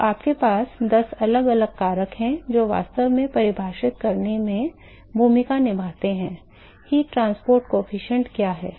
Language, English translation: Hindi, So, you have 10 different factors which are actually play a role in defining, what is the heat transport coefficient